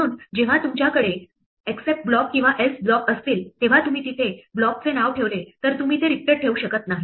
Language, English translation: Marathi, So when you have blocks like except or else, if you put the block name there you cannot leave it empty